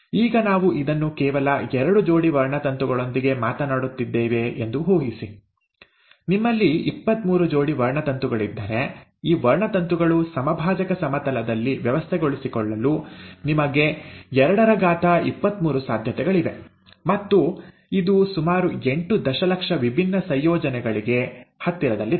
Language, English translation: Kannada, Now imagine this we are talking with just two pairs of chromosomes, if you have twenty three pairs of chromosomes, you have 223 possibilities in which, these chromosomes can arrange at the equatorial plane, and this is close to about eight million different combinations, right